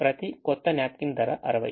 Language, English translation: Telugu, the new napkin cost sixty